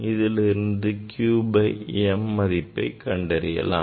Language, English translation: Tamil, then we can find out q by m